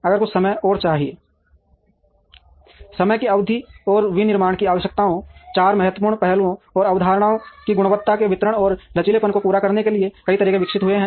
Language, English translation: Hindi, If required some time and over a period of time, several methodologies have evolved to meet the requirements of manufacturing, four important aspects and concepts quality delivery and flexibility